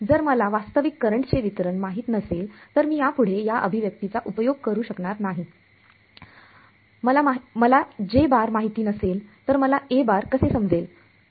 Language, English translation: Marathi, If I do not know the realistic current distribution I can no longer use this expression right; if I do not know J how can I find out A, the convolution